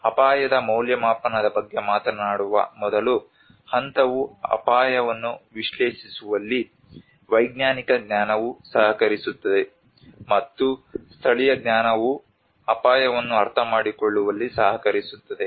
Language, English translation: Kannada, The first stage which talks about the risk assessment where the scientific knowledge also contributes in analysing the risk, and also the local knowledge also contributes in understanding the risk